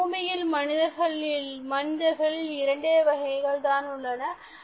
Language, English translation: Tamil, There are only two kinds of people on earth today